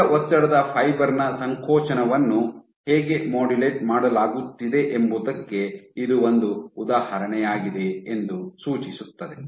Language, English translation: Kannada, So, this suggests that this is also an example of how contractility at the single stress fiber is being modulated